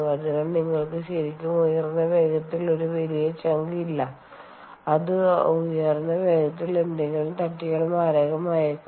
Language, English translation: Malayalam, so you really dont have a large chunk coming out at very high speed which, if it hits something, can be fatal at those high speeds